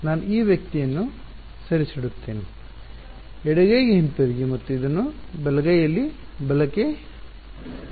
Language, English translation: Kannada, I will move this guy back to the left hand side and keep this on the right hand side right